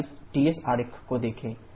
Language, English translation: Hindi, Just look at this Ts diagrams